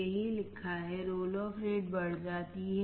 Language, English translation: Hindi, That is what is written, the roll off rate increases